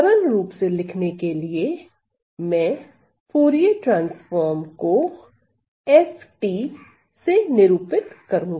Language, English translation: Hindi, So, also let me for the ease of writing let me just denote my Fourier transforms as FT